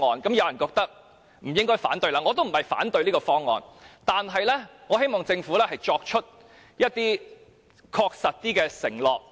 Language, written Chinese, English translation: Cantonese, 有人認為不應該反對，而我也不是要反對，只是希望政府可以作出更確實的承諾。, Some think that we should not raise objection; I do not intend to raise objection I just hope that the Government can make more specific pledges